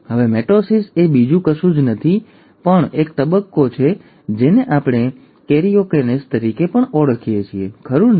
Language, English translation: Gujarati, Now mitosis is nothing but also a stage which we also call as karyokinesis, right